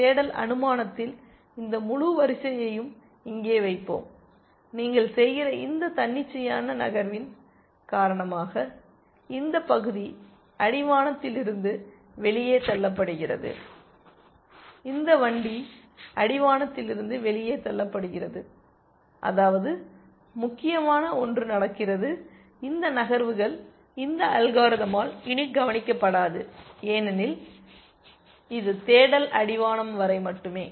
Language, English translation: Tamil, In search supposing, we insert this whole sequence here then, this part gets pushed out of the horizon because of this arbitrary move that you are doing, this cart gets pushed out of the horizon which means that, something that is important which was happening in these moves is no longer noticed by this algorithm because it is search is only till the horizon